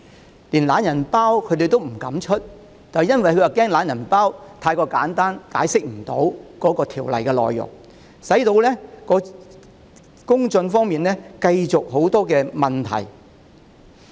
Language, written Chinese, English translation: Cantonese, 當局連"懶人包"也不敢發出，原因是害怕"懶人包"太過簡單，無法解釋修訂條例的內容，結果公眾繼續有很多疑問。, The Government dares not issue a For Dummies version fearing it will be too simple and fails to explain the content of the legislative amendment . As a result the public remains in doubts